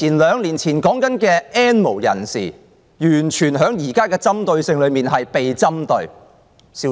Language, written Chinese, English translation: Cantonese, 兩年前所提到的 "N 無人士"，完全在現時被針對，針對得消失了。, But what about the others? . We already mentioned the N have - nots two years ago and now they have become the target so much so that they are totally ignored